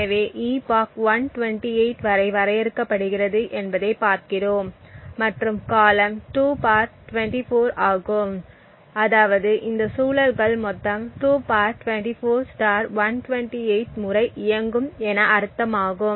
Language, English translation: Tamil, So, we look at how the epoch is defined which is defined to 128 over here as seen over here and the time period is 2 ^ 24 which means that these loops are run for a total of (2 ^ 24) * 128 times